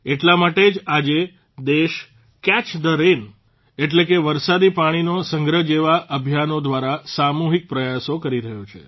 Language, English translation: Gujarati, That is why today the country is making collective efforts through campaigns like 'Catch the Rain'